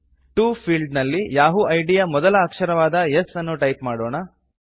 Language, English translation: Kannada, In the To field, type the first letter of the yahoo id, that is S